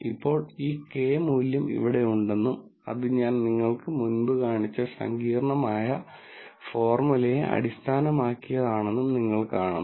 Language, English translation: Malayalam, Now, also you notice that, this Kappa value is here and based on the complicated formula that I showed you before